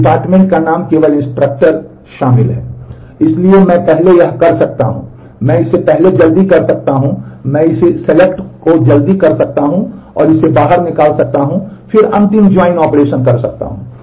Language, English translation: Hindi, So, I can first I can take this do early, I can do this selection early and take this out and then do the final join operation